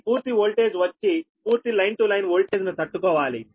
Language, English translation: Telugu, so full voltage will be your to withstand full line to line voltage right